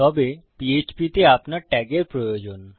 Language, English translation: Bengali, However, in PHP, you need the tags